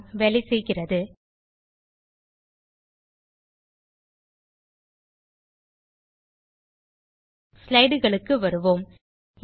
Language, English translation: Tamil, Now switch back to our slides